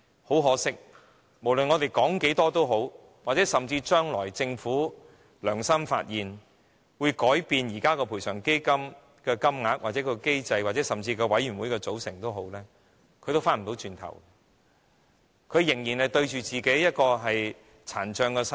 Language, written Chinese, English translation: Cantonese, 很可惜，無論我們說了多少也好，或甚至將來的政府"良心發現"，改變現行賠償基金的資助金額或機制，甚至委員會的組成，但這些病者也無法回到過去，他們仍要面對其殘障的身體。, It is unfortunate that no matter how many times we have spoken or that even if the future Government will be moved by conscience to change the subsidy level or mechanism of the existing Compensation Fund or even the composition of PCFB these patients can never go back to the past and still have to face their frail bodies